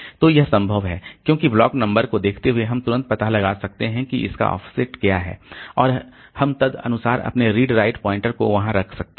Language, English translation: Hindi, So, this is possible because given a block number we can immediately figure out what is the corresponding offset and we can put our read write pointer accordingly